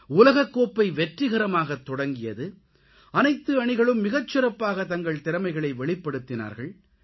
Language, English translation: Tamil, The world cup was successfully organized and all the teams performed their best